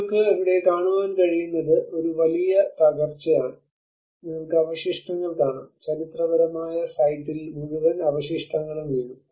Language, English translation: Malayalam, What you can see here is a huge demolitions happened you can see the rubble masonry, I mean the whole rubble fallen on the historical site